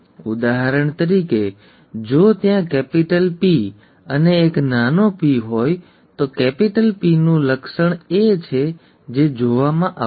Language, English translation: Gujarati, For example, if there is a capital P and a small p, the trait of capital P is what would be seen